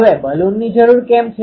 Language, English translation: Gujarati, Now why the need Balun